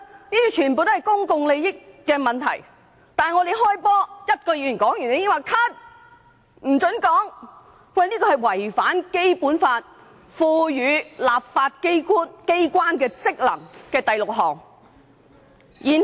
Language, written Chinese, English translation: Cantonese, 這些全屬公共利益問題，但我們才剛開始辯論，只有一位議員發言後便被叫停，這是違反了《基本法》賦予立法機關的第六項職權。, All these are issues concerning public interests but the debate on such issues is adjourned soon after it has begun and when only one Member has spoken . It actually runs contrary to the powers and functions granted to the legislature under Article 736 of the Basic Law